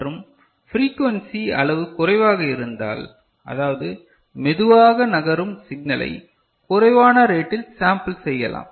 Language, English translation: Tamil, And, if it is a frequency quantity is less; that means, slow moving signal you can sample it at a lower right